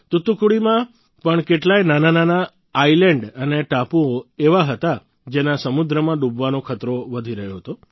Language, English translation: Gujarati, There were many such small islands and islets in Thoothukudi too, which were increasingly in danger of submerging in the sea